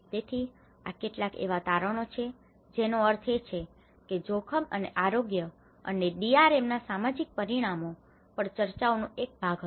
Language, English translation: Gujarati, So, these are some of the findings I mean which was a part of the discussions on the social dimension of risk and health and DRM